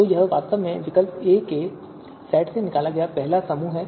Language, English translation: Hindi, So this is actually the first extracted extracted group from the set of alternatives A